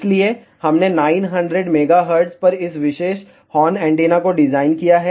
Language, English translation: Hindi, So, we have designed this particular horn antenna at 900 megahertz